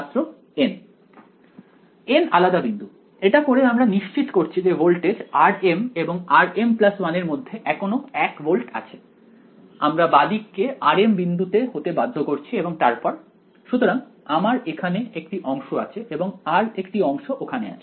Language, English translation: Bengali, N discrete points, by doing this are we doing anything to ensure that the voltage between r m and r m plus 1 is still 1 volt, we are enforcing the left hand side at r m then the next; so we have one segment over here we have one more segment over here